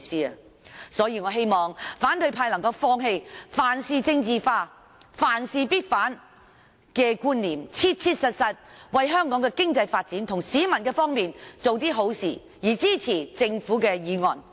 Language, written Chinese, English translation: Cantonese, 因此，我希望反對派議員能夠放棄凡事政治化、凡事必反的觀念，切切實實為香港的經濟發展及市民的方便做點好事，支持政府的議案。, Therefore I hope that opposition Members will abandon the concepts of politicizing and opposing everything and support the Governments motion . They should conscientiously do something favourable to the economic development of Hong Kong and for the convenience of the public . I so submit